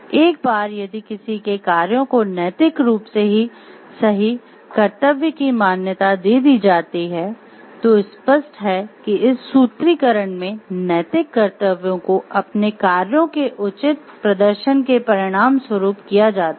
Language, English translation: Hindi, Once ones duties are recognized the ethically correct moral actions are obvious, in this formulation ethical acts as a result of proper performance of ones own duties